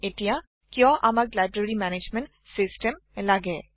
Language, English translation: Assamese, Now, Why do we need a Library Management System